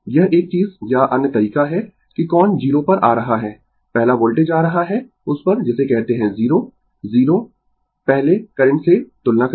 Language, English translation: Hindi, This is one thing or other way that which one is coming to the 0 first the voltage is coming to that your what you call the 0 0 first compare to the current, right